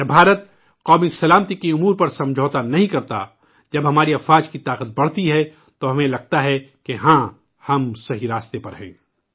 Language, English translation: Urdu, When India does not compromise on the issues of national security, when the strength of our armed forces increases, we feel that yes, we are on the right path